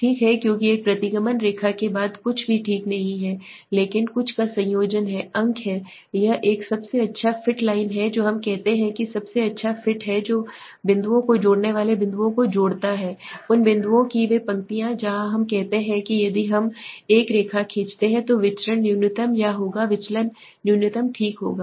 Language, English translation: Hindi, Right so the linearity because after all a regression line is nothing but the combining some of the points right it is a best fit line we say best fit is what connecting the dots connecting the points of those lines of those dots where we say if we draw a line the variance would be minimum or the deviation would be minimum okay